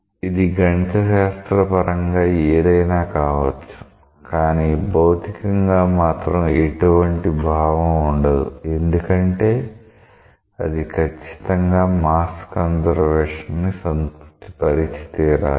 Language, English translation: Telugu, It may be mathematically something, but it does not physically make any sense because it has to satisfy the mass conservation